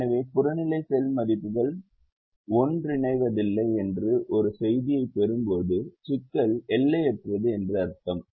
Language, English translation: Tamil, so when you get a message saying the objective cell values do not converge, it means that the problem is unbounded